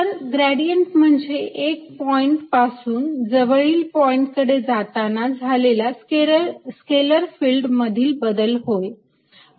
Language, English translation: Marathi, so gradient is related to change in a scalar field in going from one point to a nearby point